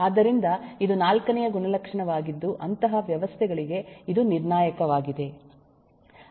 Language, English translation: Kannada, so this is fourth attribute, which is critical for such systems